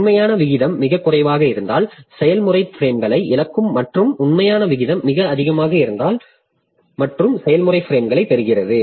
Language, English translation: Tamil, If the actual rate is too low, then the process will lose frames and if the actual rate is too high then the process gains frames